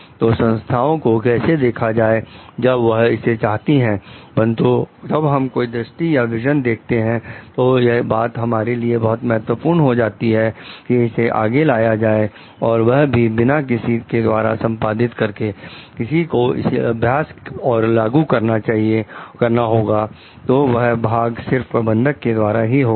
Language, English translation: Hindi, So, how to see the organization where it wants to be but, when we have seen a vision so it is very important for us somehow to carry the without someone to execute it; someone to practice and implement it, so that part is done by the managers